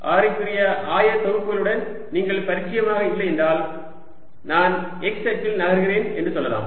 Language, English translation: Tamil, if you are not comfortable with radial coordinates, let us say i move along the x axis